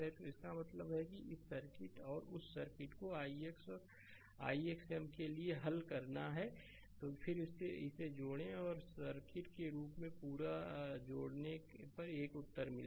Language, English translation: Hindi, So, that means, this circuit and that circuit you have to solve for i x dash and i x double dash, then you add it up and as a whole you add as a circuit you will get the same answer right